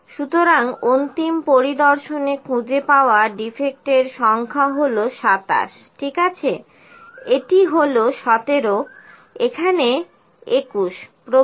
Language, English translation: Bengali, So, number of defects in the final inspection those are found is 27, ok, so it is 17 here, 21 so on